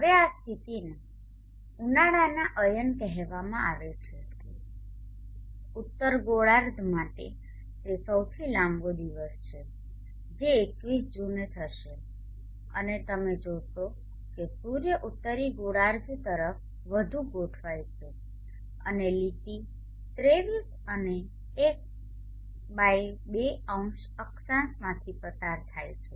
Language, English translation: Gujarati, Now this position is call the summer solve sties for the northern hemisphere it is the longest day that will occur on June 21st and you will see that the sun allying more towards the northern hemisphere and the line passes through the 23 and 1/2 0 latitude which is the tropic of cancer